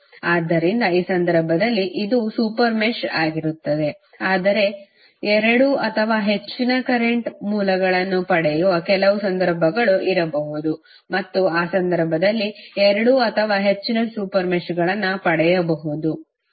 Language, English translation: Kannada, So, in this case this would be the super mesh but there might be few cases where we may get two or more current sources and then in that case we may get two or more super meshes